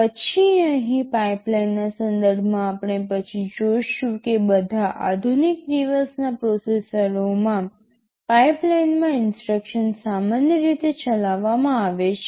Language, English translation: Gujarati, Then with respect to the pipeline here we shall see later that instructions are typically executed in a pipeline in all modern day processors